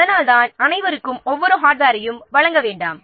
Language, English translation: Tamil, See, please do not provide everyone with the every piece of hardware